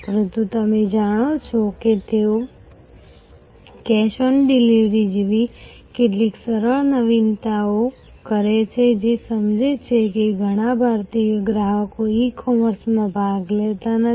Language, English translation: Gujarati, But, they you know did some simple innovation like cash on delivery, sensing that the many Indian customers were not participating in E commerce